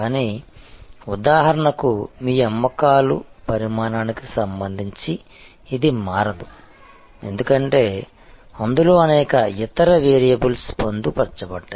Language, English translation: Telugu, But, it will not vary with respect to your volume of sales for example, because that has many other variables embedded in that